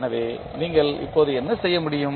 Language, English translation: Tamil, So, what you can do now